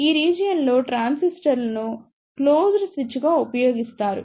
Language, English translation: Telugu, In this region transistor is used as a closed switch